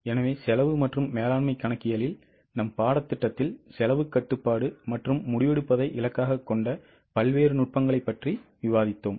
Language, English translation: Tamil, So far in our course in cost and management accounting we have discussed various techniques which were targeted at cost control as well as decision making